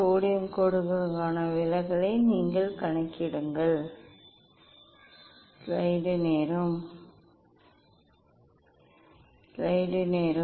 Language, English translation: Tamil, You calculate deviation for sodium lines